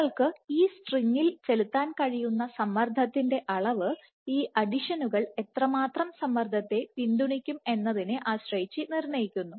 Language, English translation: Malayalam, So, amount of tension you can put in the string is dictated by how much these adhesions can support